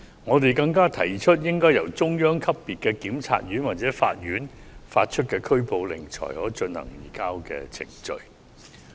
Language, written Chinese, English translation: Cantonese, 我們更提議須由中央級別的檢察院或法院發出拘捕令，才可進行移交程序。, Also we suggest that the surrender procedures can only be activated after the issuance of arrest warrants by the Procuratorate or courts at the central level